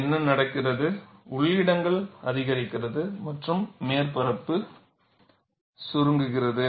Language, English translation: Tamil, What happens is the inner places, it increases and the surface shrinks